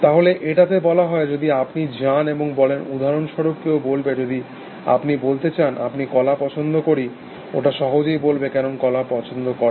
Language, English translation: Bengali, So, it says, if you go and say for example, somebody will say, so for example, if you want to say, I like bananas, if it simply say, why do like bananas